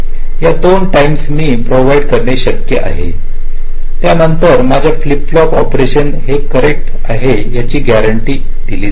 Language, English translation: Marathi, these two times i must provide, then only my flip flop operation will be guaranteed to be faithfully correct, right